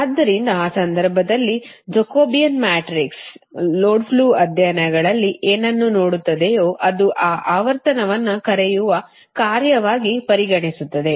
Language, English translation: Kannada, so in that case that jacobian matrix, whatever will see in the load flow studies, it will become the function of your what you call that frequency